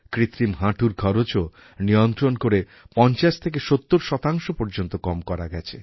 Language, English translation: Bengali, Knee implants cost has also been regulated and reduced by 50% to 70%